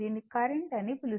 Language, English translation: Telugu, This is what you call that current